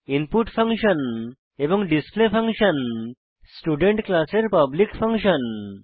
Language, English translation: Bengali, Function input and function display are the public functions of class student